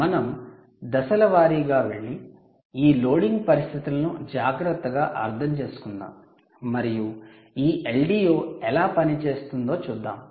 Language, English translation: Telugu, lets go step by step and understand this is loading conditions carefully and let us see exactly how this l d o actually functions